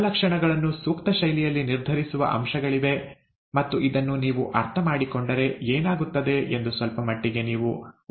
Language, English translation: Kannada, There are, there are aspects that determine traits in an appropriate fashion and if you understand this, it it, you can predict to a certain extent what will happen